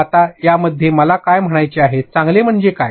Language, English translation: Marathi, Now, in that, what all do I mean by good what does that term mean